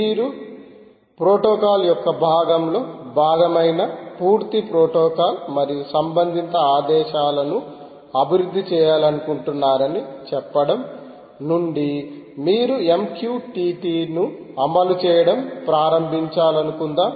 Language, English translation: Telugu, suppose you want to start implementing m q t t from, say, you want to develop the full protocol and the relate commands which are ah, part of the ah, part of the protocol